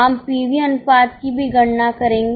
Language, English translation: Hindi, We will also calculate PV ratio